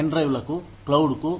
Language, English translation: Telugu, To pen drives, to the cloud